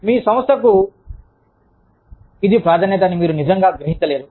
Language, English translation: Telugu, You may not really realize, that it is a priority, for your organization